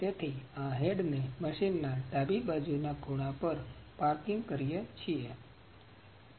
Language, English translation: Gujarati, So, it is parking the head at the left side left corner of the machine